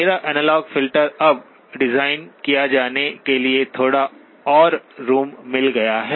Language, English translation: Hindi, My analog filter is now has got a little bit more room to be designed